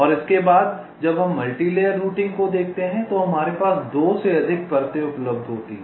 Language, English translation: Hindi, and next, when we look at multilayer, routing means we have more than two layers available with us